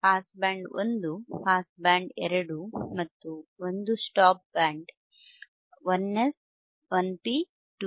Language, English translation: Kannada, It has two pass bands, pass band one, pass band two and one stop band; stop band one 1 S, 1 P, 2 P